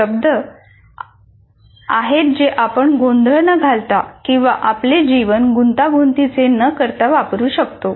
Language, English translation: Marathi, Those are the words which we can use without confusing or making our lives complicated